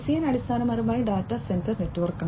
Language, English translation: Malayalam, DCN is basically data center network